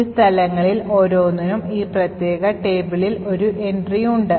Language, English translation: Malayalam, Each of these locations have an entry in this particular table